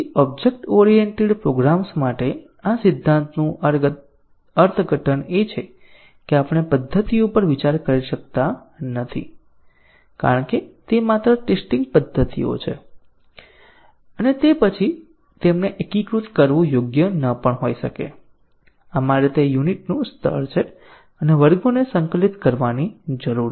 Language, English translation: Gujarati, So, the interpretation of this axiom for object oriented programs is that we cannot consider methods as even it is just testing methods and then integrating them may not be correct, we need to test the classes it is the unit level and integrate the classes